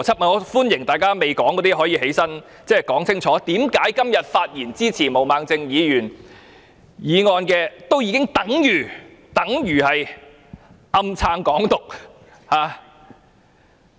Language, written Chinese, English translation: Cantonese, 我歡迎尚未發言的議員站起來說清楚，為何今天發言支持毛孟靜議員議案的議員已經等於暗中支持"港獨"。, I welcome Members who have yet to speak to rise and clearly explain why Members who speak in support of Ms Claudia MOs motion today are secretly supporting Hong Kong independence